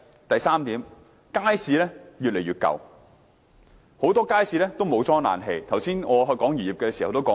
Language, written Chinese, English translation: Cantonese, 第三點，街市越來越舊，很多街市尚未安裝冷氣，我剛才談及漁業的時候已提及這點。, Third public markets are growing old . Many markets have yet to be provided with air conditioning and I already mentioned this when I talked about the fisheries industry earlier